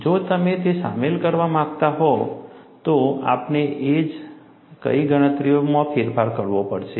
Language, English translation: Gujarati, If you want to include that, what way we will have to modify the calculations